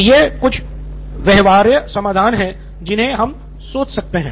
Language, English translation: Hindi, So these are some viable solutions we can think of right now